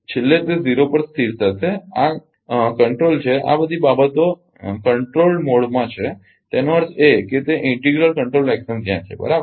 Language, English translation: Gujarati, Finally, it will settle to 0, this is control all this things are in controlled mode; that means, that integral control action is there, right